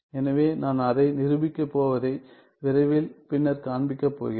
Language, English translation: Tamil, So, I am going to prove I am going to show it later soon ok